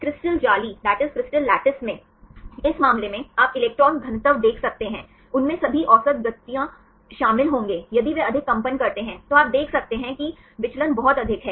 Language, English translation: Hindi, In the crystal lattice in this case you can see the electron density, they will include all the average of the motions if they vibrate more, then you can see the deviation is very high